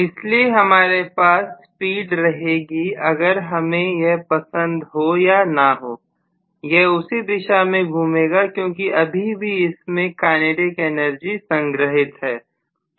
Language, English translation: Hindi, So I am going to have the speed continuing to exist whether I like it or not it will continue to rotate in the same direction because of the kinetic energy stored